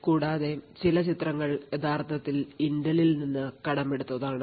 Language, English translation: Malayalam, Also, some of the figures that are in this video have been actually borrowed from Intel